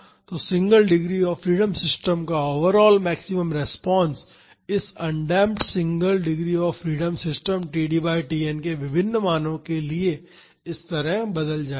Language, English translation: Hindi, So, the overall maximum response of this single degree of freedom system this undamped single degree of freedom system will change like this for different values of td by Tn